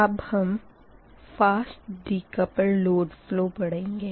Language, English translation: Hindi, next is that fast decoupled load flow